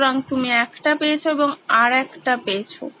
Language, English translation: Bengali, So, you’ve got one and you’ve got the other